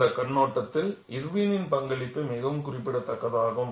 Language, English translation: Tamil, From that point of view, the contribution of Irwin is very significant